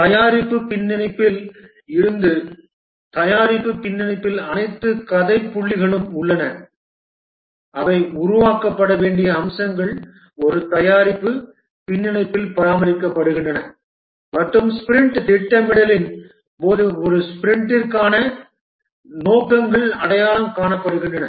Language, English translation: Tamil, From the product backlog, the product backlog has all the story points or the features to be developed are maintained in a product backlog and during sprint planning the objectives for a sprint is identified